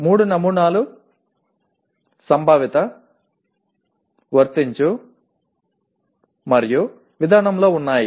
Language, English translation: Telugu, Three samples are located in Conceptual, Apply and Procedural